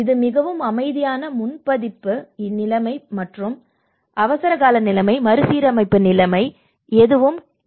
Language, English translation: Tamil, And here is very quiet and calm in the quiescence and pre impact situation and the emergency situation, restoration situation and the reconstruction situation you know so this is a kind of time taking process